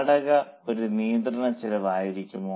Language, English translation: Malayalam, Will the rent be a controllable cost